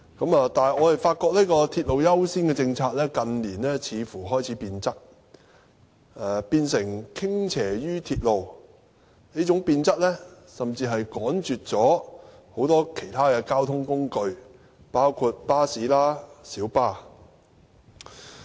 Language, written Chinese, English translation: Cantonese, 不過，我們發現這個鐵路優先政策，近年似乎開始變質，變成傾斜於鐵路，這種變質甚至趕絕其他交通工具，包括巴士和小巴。, However we consider that such a policy has metamorphosed and has seemingly become inclined to railway in recent years and may even jeopardize other means of transport including buses and minibuses